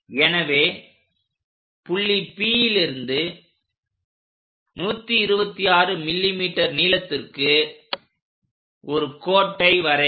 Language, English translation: Tamil, So, draw a line at point P with 126 mm